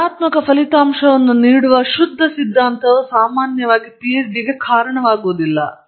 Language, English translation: Kannada, A pure theory that gives a negative result usually doesn’t lead to a PhD